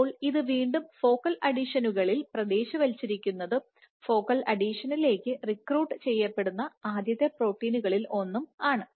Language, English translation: Malayalam, So, again it is localized at focal adhesions one of the earlier proteins to be recruited to focal adhesion